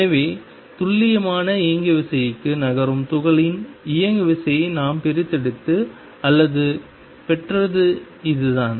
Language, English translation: Tamil, So, this is how we extracted or got the moment out of the particle moving to the definite momentum